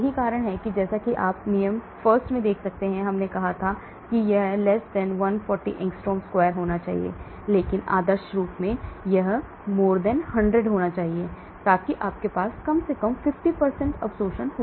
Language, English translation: Hindi, That is why as you can see in 1 rule we said it should be < 140 angstrom square, but ideally it should be <100, so that you have absorption at least 50%